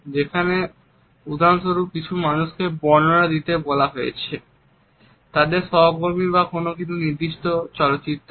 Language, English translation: Bengali, There have been several audio recordings when people have been asked to describe their colleagues for example, or a particular movie